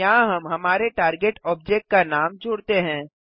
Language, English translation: Hindi, Here we add the name of our target object